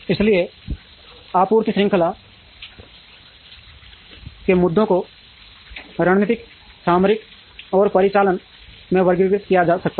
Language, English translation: Hindi, So, the supply chain issues can be categorized into strategic, tactical and operational